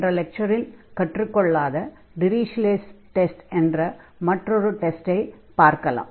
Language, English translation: Tamil, Now, we have one more test, which was not discussed in the previous lecture that is called the Dirichlet’s test